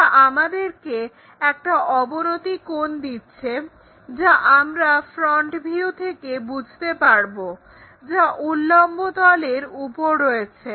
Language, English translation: Bengali, So, it gives us an inclination angle which we may be in a position to sense on this front view which is on the vertical plane